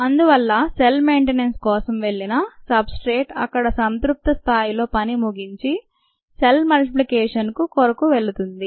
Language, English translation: Telugu, so the substrate goes for cell maintenance and ones this is satisfied, then it goes for cell multiplication